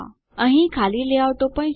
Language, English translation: Gujarati, There are also blank layouts